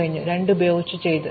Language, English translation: Malayalam, So, we are done with 2